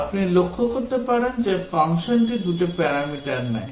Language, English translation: Bengali, As you can notice that the function takes two parameters